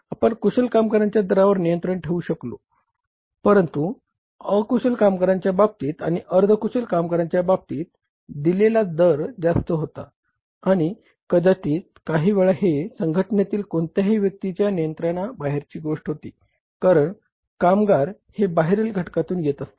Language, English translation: Marathi, We have been able to control the rate of the skilled labor but in case of the unskilled labor and in case of the semi skilled labor, the rate paid was higher and maybe some time it is beyond the control of anybody within the organization because labor comes from the outside